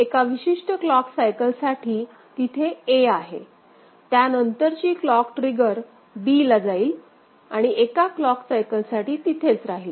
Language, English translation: Marathi, So, a is there for one particular clock cycle and then next clock trigger it goes to b and it will be there for one clock cycle